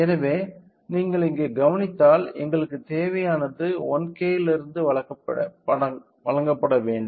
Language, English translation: Tamil, So, if you observe here what we required the input has to be provided from 1K